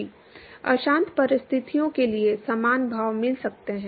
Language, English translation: Hindi, One could get similar expressions for turbulent conditions